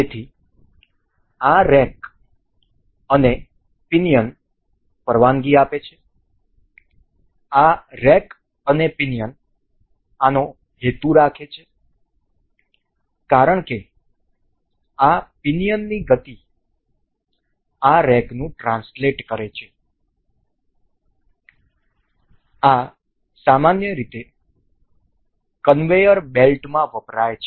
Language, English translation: Gujarati, So, this rack and pinion allow, this rack and pinion intends to this as the motion of this pinion will translate this rack, these are generally used in conveyor belts